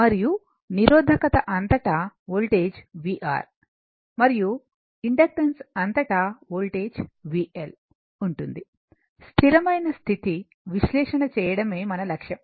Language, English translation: Telugu, And voltage across the resistance is v R, and across the inductance is v L right, our objective is a steady state analysis right